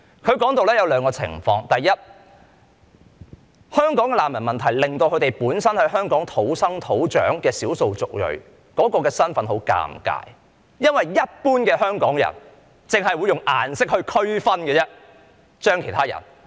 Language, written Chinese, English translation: Cantonese, 他說出了兩種情況︰第一，香港的難民問題令到本身在香港土生土長的少數族裔的身份很尷尬，因為一般香港人只會用顏色區分其他人。, He described two scenarios . First the problem of refugees in Hong Kong has put locally born and bred ethnic minorities on a sticky wicket because general Hong Kong people can only differentiate others by colour